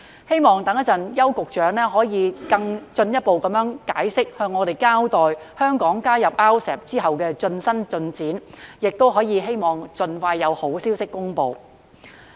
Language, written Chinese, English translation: Cantonese, 希望邱局長稍後作出進一步解釋，並向我們交代香港加入 RCEP 後的最新進展，亦希望盡快有好消息公布。, I hope that Secretary Edward YAU will give us further elaboration and update us on the progress of Hong Kongs accession to RCEP . It is also hoped that good news will be announced soon